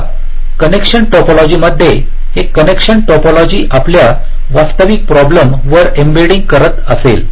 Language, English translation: Marathi, so this connection topology will be doing embedding on our actual problem